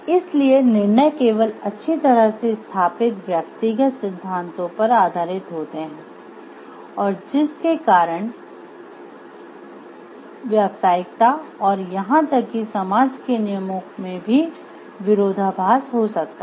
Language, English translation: Hindi, Decisions are based only on well established personal principles and may contradict professional course and even society rules